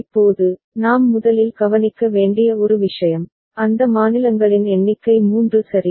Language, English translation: Tamil, Now, one thing that we notice first, that number of states are 3 ok